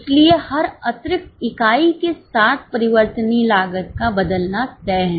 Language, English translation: Hindi, So, with every extra unit variable cost is set to change